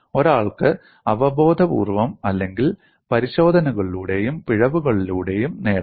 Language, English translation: Malayalam, One may obtain it intuitively or by trial and error